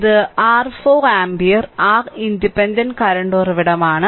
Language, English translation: Malayalam, And this is your 4 ampere your independent current source